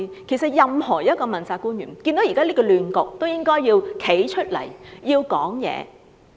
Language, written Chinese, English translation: Cantonese, 其實任何一位問責官員看到現時的亂局，都應該站出來發聲。, Indeed any accountability official seeing the present chaos should come forward and make their voices heard